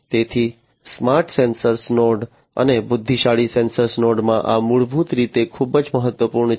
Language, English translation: Gujarati, So, this is basically very important in a smart sensor node and intelligent sensor nodes